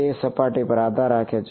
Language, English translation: Gujarati, It depends on the surface